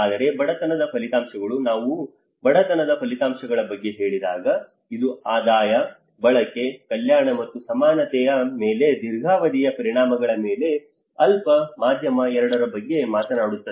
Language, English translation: Kannada, Whereas the poverty outcomes, when we say about poverty outcomes, it talks about the both short, medium on long term impacts on income, consumption, welfare and equality